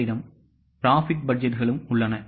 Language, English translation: Tamil, You also have profit budgets